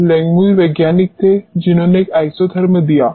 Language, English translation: Hindi, Langmuir was the scientist who has given one isotherm